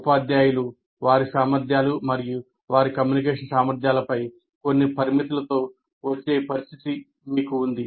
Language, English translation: Telugu, Teachers come with some limitations on their competencies and communication abilities